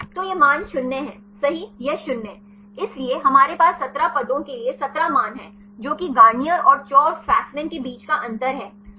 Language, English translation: Hindi, So, we have 17 values for the 17 positions right that is the difference between Garnier, and Chou and Fasman